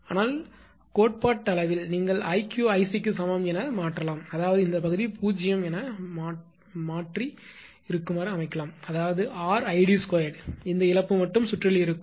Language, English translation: Tamil, But listen one thing that theoretically you can make i q is equal to i c; that means, this part will be 0; that means, R into I d square; this loss will remain in the circuit